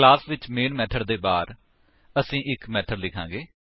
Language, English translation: Punjabi, In the class, outside the main method, we will write a method